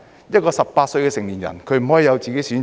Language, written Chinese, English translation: Cantonese, 一個18歲的成年人不可以有自己的選擇？, Why can adults aged 18 not make their own choice?